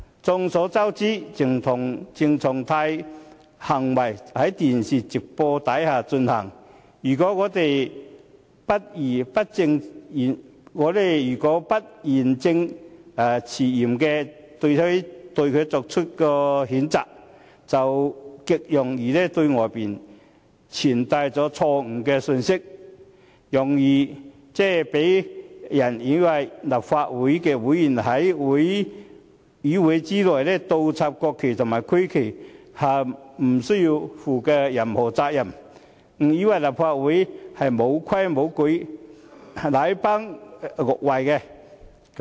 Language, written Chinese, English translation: Cantonese, 眾所周知，鄭松泰的行為在電視直播下進行，如果我們不義正詞嚴地對他作出譴責，便極容易對外傳遞錯誤的信息，容易讓人誤以為立法會議員在議會內倒插國旗和區旗也不用負上任何責任、誤以為立法會沒規沒矩、禮崩樂壞。, Everyone knows that the behaviour of CHENG Chung - tai was broadcast live on television . If we do not condemn his behaviour with a strong and forceful sense of righteousness a wrong message will be easily delivered . It will readily make people misunderstand that the act of inverting the national flag and regional flag by Members of the Legislative Council in the Chamber will not incur any liability and that Members can act in defiance of rules in the Legislative Council to the extent that the Council will be rendered in a state of endless eccentricities and irregularities